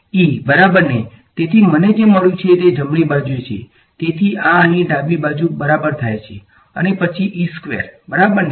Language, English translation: Gujarati, E exactly ok; so, what I have got this is the right hand side so, therefore, this is equal to the left hand side over here then squared E ok